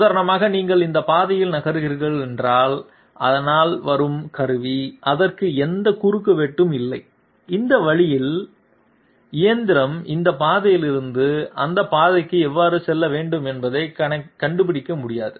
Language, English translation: Tamil, This one for example, if you are moving along this path so the tool which is coming, it does not have any intersection and this way, so the machine cannot find out how it is supposed to move from this path to that path